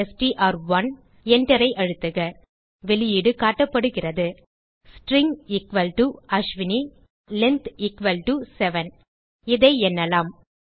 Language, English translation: Tamil, Press Enter The output is displayed as string = Ashwini, Length = 7 You can count here